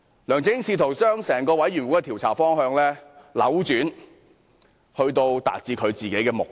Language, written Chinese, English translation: Cantonese, 梁振英試圖將專責委員會的調查方向扭轉，達致自己的目的。, LEUNG Chun - ying endeavoured to change the direction of the inquiry undertaken by the Select Committee so as to serve his own ends